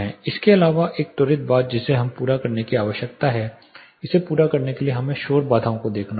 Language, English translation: Hindi, Apart from this one quick thing that we need to understand by completing this we will have to look at noise barriers